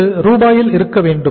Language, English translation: Tamil, This works out as rupees